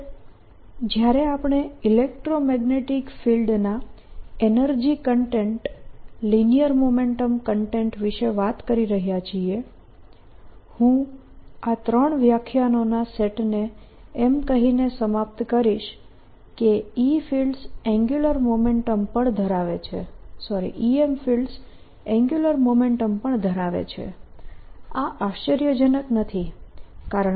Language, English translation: Gujarati, finally, when we are talking about the energy content, linear momentum content, of the electromagnetic field, i will conclude this set of three lectures by showing that e m fields carry angular momentum also